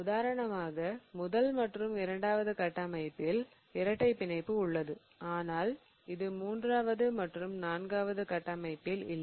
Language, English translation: Tamil, For example, in the first structure there is a double bond, in the second structure there is a double bond but it doesn't exist in the third and fourth structure and so on